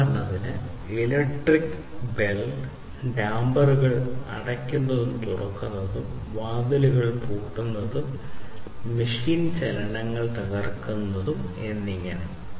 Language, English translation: Malayalam, So, electric bell opening and closing of dampers, locking doors, breaking machine motions and so on